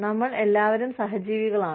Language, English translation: Malayalam, We are all, co existing